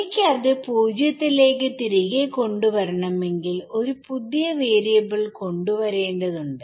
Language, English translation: Malayalam, If I want to bring it back down to 0, I need to introduce a new variable